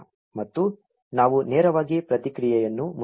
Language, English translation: Kannada, And let us just directly print the response